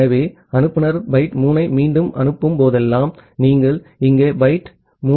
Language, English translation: Tamil, So, whenever the sender is retransmitting byte 3 so, you have received byte 3 here